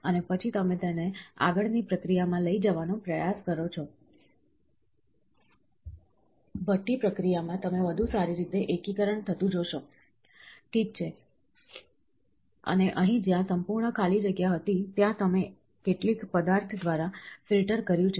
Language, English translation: Gujarati, And then what you do is, you try to take it to further processing, furnace processing you see a better consolidation happening, ok, and here where ever there was a whole vacant spot, you have in filtered through some material